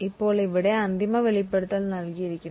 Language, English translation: Malayalam, Now here the final disclosure is given